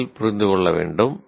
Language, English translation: Tamil, Now it is the action is understand